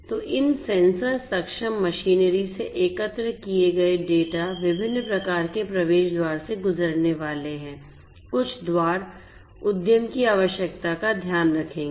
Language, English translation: Hindi, So, the data that are collected from these sensor enabled machinery are going to go through different types of gateways; different types of gateways, some gateways will take care of the enterprise requirement